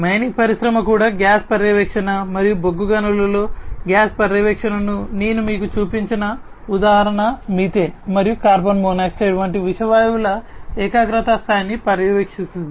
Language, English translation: Telugu, In the mining industry also gas monitoring and the example that I had shown you at the very beginning gas monitoring in coal mines etc monitoring the level of what the concentration of poisonous gases like methane, carbon monoxide etc